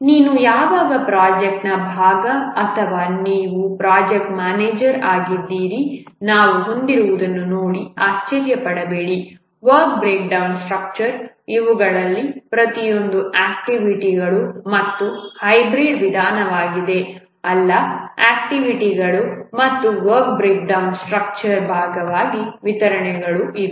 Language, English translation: Kannada, When you are part of a project or you are the project manager, don't be surprised to see that we have work breakdown structure where each of these activities, each of these are activities and also a hybrid approach where there are activities and also deliverables as part of the work breakdown structure